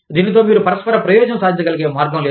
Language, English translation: Telugu, There is no way, that you can achieve, mutual benefit